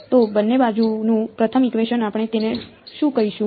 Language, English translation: Gujarati, So, the first equation on both sides, what did we call it